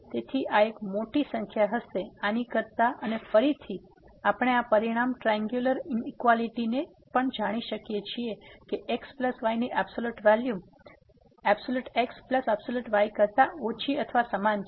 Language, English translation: Gujarati, So, this will be a big quantity than this one and again, we can we know also this result the triangular inequality that the absolute value of plus will be less than equal to the absolute value of plus absolute value of